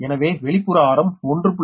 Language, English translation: Tamil, but outside radius is given